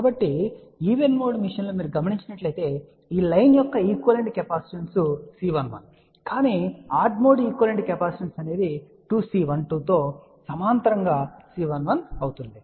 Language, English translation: Telugu, So, one can see that in case of the even mode the equivalent capacitance of this line will be let us say C 1 1 , but for odd mode equivalent capacitance will be C 1 1 in parallel with 2 C 1 2